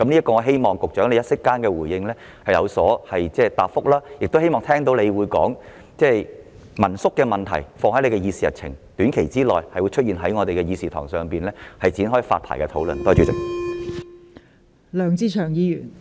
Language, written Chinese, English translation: Cantonese, 我希望局長稍後可以就此作出回應，亦希望他會說道會把民宿問題納入他的議事日程，讓民宿的發牌問題在短時間內在立法會的議事堂上展開討論。, I hope the Secretary can give a reply on this later on and tell us that he will put the issue of hostels on his agenda so that discussions on the licensing of home - stay lodgings can commence in the Chamber of the Legislative Council in the near future